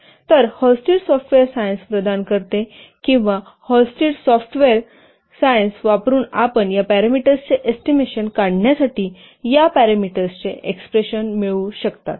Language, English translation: Marathi, So Hullstead software science provides or by using the HALSTATE software science, you can derive the expressions for these parameters, for estimating these parameters